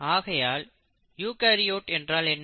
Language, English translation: Tamil, And then you have the eukaryotes